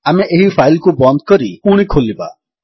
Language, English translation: Odia, Let us close and open this file